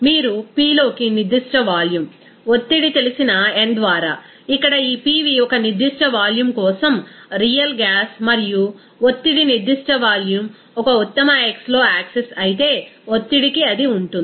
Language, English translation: Telugu, You he will see that here this pV by n that means p into you know specific volume, pressure into a specific volume of real gas and pressure into specific volume for an ideal gas in the y axis whereas in x axis it will be pressure